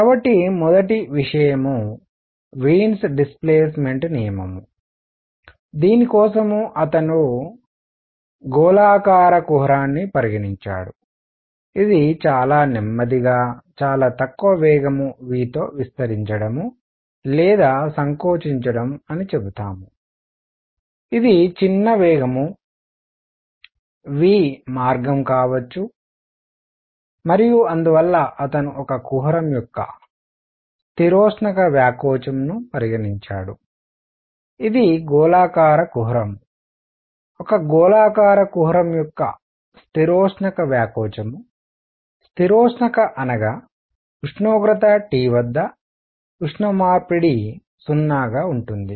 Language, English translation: Telugu, So, first thing is Wien’s displacement law, for this he considered a spherical cavity which; let us say this expanding or contracting by a very slow; very small velocity v, it could be either way by small velocity v and so he considered adiabatic expansion of a cavity which is spherical cavity the adiabatic expansion of a spherical cavity; adiabatic means that will tuck you heat exchange was 0 at temperature T